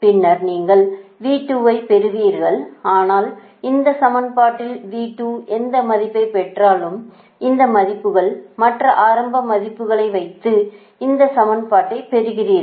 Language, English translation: Tamil, but whatever, immediately, whatever value of v two you get in this equation, whatever v two you got in this equation put, this value and other other value are are initial values you put right